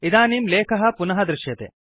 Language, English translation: Sanskrit, The text is visible again